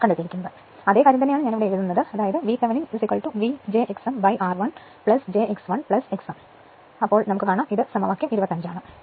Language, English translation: Malayalam, So, same thing same thing I am writing here this V Thevenin is equal to v j x m upon r one plus j x 1 plus x m now I showed you this is equation 25